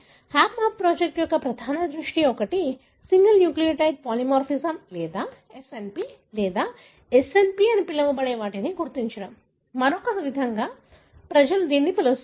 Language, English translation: Telugu, One of the major focus of the HapMap project is to identify what is called as single nucleotide polymorphism or SNP or SNP, the other way people call it